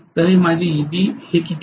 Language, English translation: Marathi, 6 this is going to be my Eb right